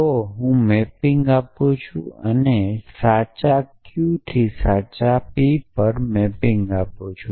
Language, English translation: Gujarati, So, I am give mapping and to clue and mapping p to true q to true